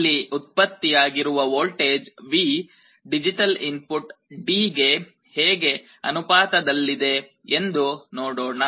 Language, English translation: Kannada, Let us see how this voltage V which is generated here, is proportional to the digital input D